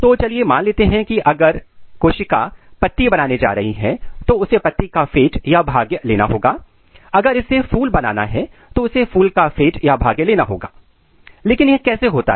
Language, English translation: Hindi, So, let us assume if cell is going to make leaf then it has to take a leaf fate, if it has to make flower it has to make flower fate, this is in general, but how this happens